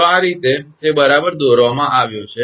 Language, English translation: Gujarati, So, this way it has been drawn right